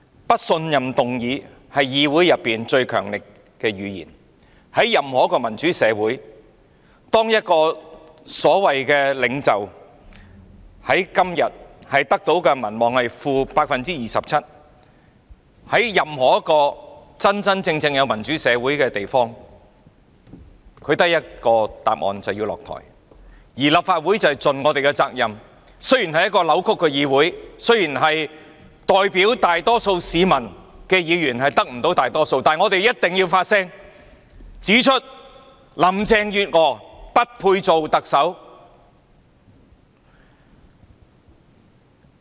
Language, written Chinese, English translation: Cantonese, 不信任議案是議會最強力的語言，在任何一個民主社會，在任何一個真真正正有民主的地方，當一個所謂的領袖在今天的民望淨值是 -27% 時，他只有一個結果，便是下台，而立法會便要盡我們的責任，雖然這是一個扭曲的議會、雖然代表大多數市民的議員得不到大多數議席，但我們必須發聲，指出林鄭月娥不配做特首。, A no confidence motion is the most powerful language of a parliamentary assembly . In any democratic society or any place where democracy truly prevails when a so - called leader has a net popularity rating of - 27 % today he or she has only one ending that is stepping down . We in the Legislative Council must perform our duty and although this is a distorted legislature and although Members representing the majority public cannot obtain the majority of seats we must make our voices heard and point out that Carrie LAM is unbecoming of the office of Chief Executive